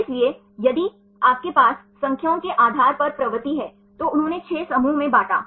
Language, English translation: Hindi, So, if you have the propensity based on the numbers, they grouped into 6 groups